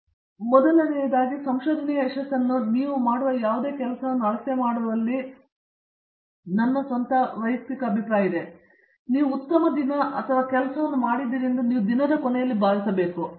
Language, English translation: Kannada, First, my own personal opinion on measuring this success of research or any work that you do is, whether the end of the day you feel good and satisfied that you have done a good days work